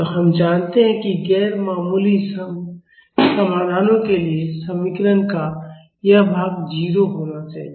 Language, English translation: Hindi, So, we know that for non trivial solutions this part of the equation should be 0